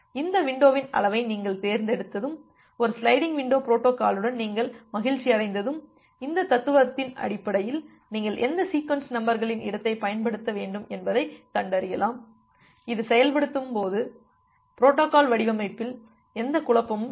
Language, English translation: Tamil, And once you have selected that window size and your happy with a sliding window protocol based on this philosophy, you can find out that what sequence numbers space you should use such that there is no am no confusion in the protocol design during the execution of the protocol